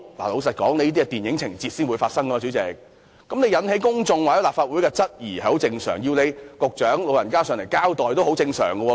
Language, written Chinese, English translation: Cantonese, 代理主席，這些只應在電影情節才發生的事情，引起公眾或立法會質疑實屬正常，要局長前來立法會交代也很正常。, Deputy President as such events should only happen in movies it is perfectly normal that members of the public and Legislative Council Members have doubts and it is also normal to summon the Secretary to attend before the Legislative Council to give an explanation